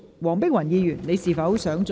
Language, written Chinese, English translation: Cantonese, 黃碧雲議員，你是否想再次發言？, Dr Helena WONG do you wish to speak again?